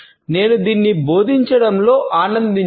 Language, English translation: Telugu, I have enjoyed teaching it